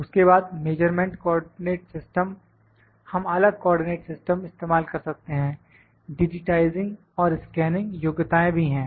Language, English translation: Hindi, Then measurement coordinates systems, we can use different coordinate system, digitizing and scanning abilities are also there